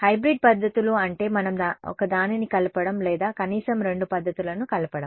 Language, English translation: Telugu, Hybrid methods are methods where we combine one or combine at least two methods